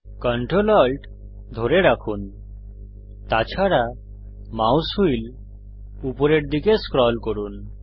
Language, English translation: Bengali, Hold ctrl, alt and scroll the mouse wheel upwards